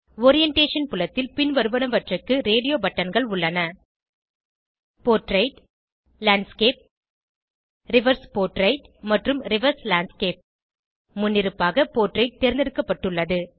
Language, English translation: Tamil, In the Orientation field we have radio buttons for Portrait, Landscape, Reverse portrait and Reverse landscape By default, Portrait is selected